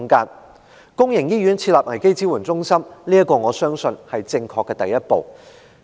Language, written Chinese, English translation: Cantonese, 在公營醫院設立危機支援中心，我相信是正確的第一步。, Setting up crisis support centres in public hospitals I believe is the first step in the right direction